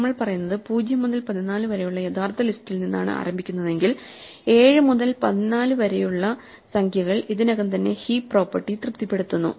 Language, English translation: Malayalam, What we are saying is that if we start with the original list of say elements 0 to 14, then the numbers 7 to 14 already satisfy the heap property